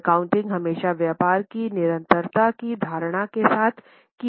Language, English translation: Hindi, The accounting is always done with the assumption of continuity of the business concern